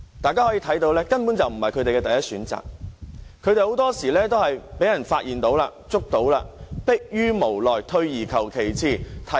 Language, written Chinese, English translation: Cantonese, 大家可以看到，這根本不是他們的第一選擇，很多時候他們都是因為被發現或拘捕時，才逼於無奈，退而求其次。, We can tell that doing so is utterly not their first choice . In most cases they just helplessly resort to the second best alternative available when they are found or arrested